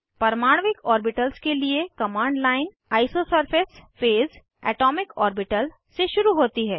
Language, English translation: Hindi, The command line for atomic orbitals starts with isosurface phase atomicorbital